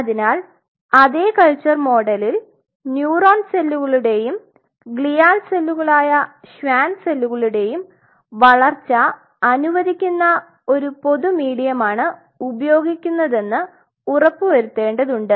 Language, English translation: Malayalam, So, in the same culture model you have to ensure that you have first common medium allowing growth of both neuron and gual cells in this case the Schwann cells